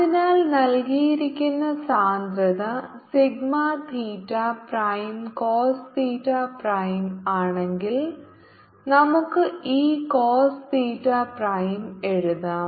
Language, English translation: Malayalam, ok, so if the given density, sigma theta prime, is cos theta prime, we can write this: cos theta prime and what they spherical system